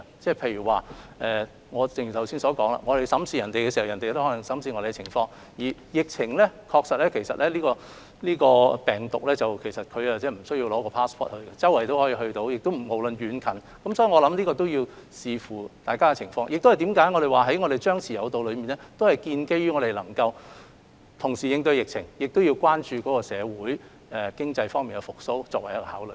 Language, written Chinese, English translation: Cantonese, 正如我剛才說，如我們審視對方情況時，對方亦可能會審視我們的情況，而這個病毒不需要 passport 也無遠弗屆，不論遠近，所以，這要視乎疫情而定，我們的張弛有度策略是建基於我們能同時應對疫情，以及關注社會經濟復蘇所作的考慮。, The virus does not need any passport to reach the farthest destination that it can reach regardless of the distance between the two places . For that reason it really depends on the epidemic situation . The suppress and lift strategy in controlling the epidemic that we adopt is based on the fact that we should address the outbreak situation by taking into account the economic recovery of society